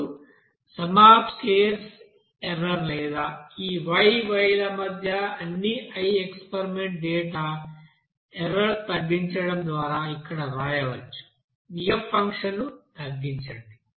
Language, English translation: Telugu, Now by minimizing the sum of the squares of the error or between these y’s, capital Y and small y for all the i set of experimental data, you can write here minimize of this f function